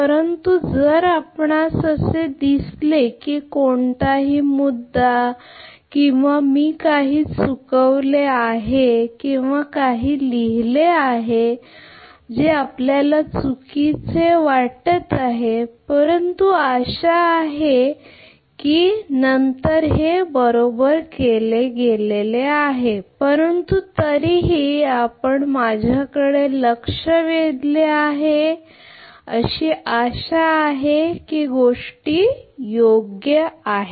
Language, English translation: Marathi, But if you see that any point or anything I have missed or something written ah you know incorrectly, but later hopefully it has been corrected right, but still you point out to me hopefully things are ok hopefully things are ok right